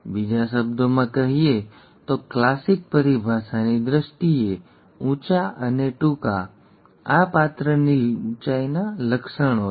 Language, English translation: Gujarati, In other words, in terms of classic terminology; tall and short, these are the traits of the character height